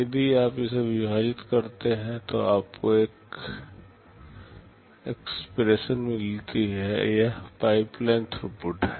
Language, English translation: Hindi, If you divide it, you get an expression, this is pipeline throughput